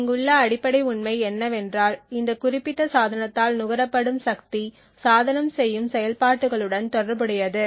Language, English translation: Tamil, The basic fact over here is that the power consumed by this particular device is correlated with the operations that the device does